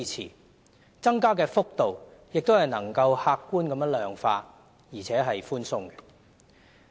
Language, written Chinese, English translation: Cantonese, 再者，增加的幅度亦能夠客觀地量化，而且是寬鬆的。, The rate of increase can also be quantified objectively and is lenient